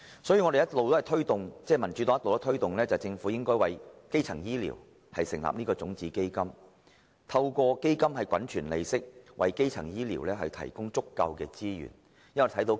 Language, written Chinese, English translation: Cantonese, 正因如此，民主黨一直推動政府為基層醫療成立種子基金，透過基金滾存利息，為基層醫療提供足夠的資源。, For this reason the Democratic Party has all along suggested the Government to establish a seed fund for primary health care such that the interest accumulated will provide sufficient resources for primary health care services